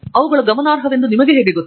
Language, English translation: Kannada, How do you know they are significant